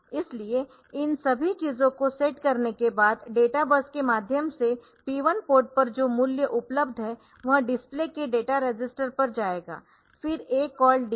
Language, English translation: Hindi, So, after setting all these things the value that is there available on the p 1 register p 1 port through the data base it will go to the the data register of the display, then a called delay